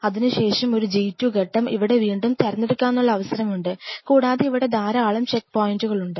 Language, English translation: Malayalam, And followed by a G 2 phase where the again have a choice again have a choice and there are lot of checkpoints out here